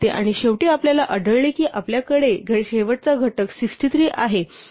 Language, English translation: Marathi, And then finally, we find that the last factor that we have is 63